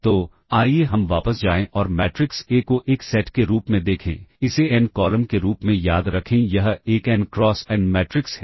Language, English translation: Hindi, So, let us go back and look at the matrix A as a set of, remember it as n columns it is an n cross n matrix